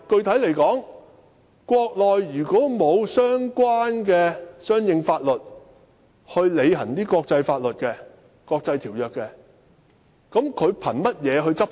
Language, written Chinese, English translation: Cantonese, 此外，具體來說，如果國內沒有相應的法律履行國際條約，試問憑甚麼執法？, Furthermore specifically speaking on what legal ground can Mainland personnel enforce the law in the absence of laws for discharging international agreements?